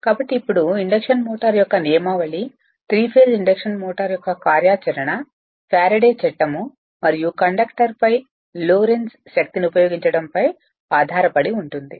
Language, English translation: Telugu, Ok So, now Principle of Induction Motor right so the operation of Three phase Induction Motor is based up on application of Faraday's Law and the Lorentz force on a conductor right